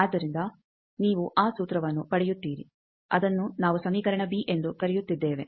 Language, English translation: Kannada, So, you get this formula it is we are calling equation b